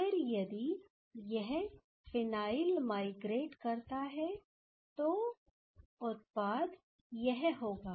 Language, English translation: Hindi, Then if this phenyl migrates, then the product will be this